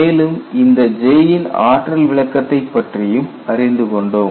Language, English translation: Tamil, We have seen the energy interpretation of J in this class